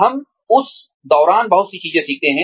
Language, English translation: Hindi, We learn a lot of things along the way